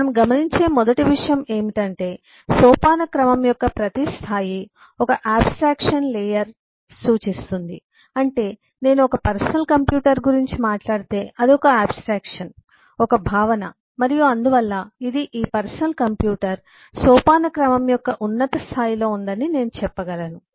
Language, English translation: Telugu, first thing we observe is: each level of hierarchy represents a layer of abstraction, which you mean is, if I talk about eh, a personal computer itself is an abstraction, is a concept, and so I can say that the at this is at the top level of hierarchy